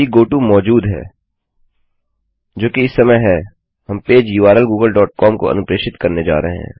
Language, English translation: Hindi, If the goto exists, which it currently does, we are going to redirect the page to a u r l google dot com